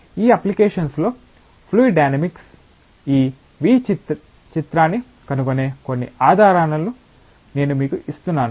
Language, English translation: Telugu, I am just giving you some clues where fluid dynamics find this relevance in this application